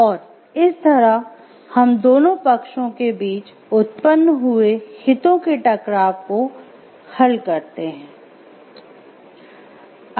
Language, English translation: Hindi, And in that way we resolve the conflict of interest which I have arisen between both the parties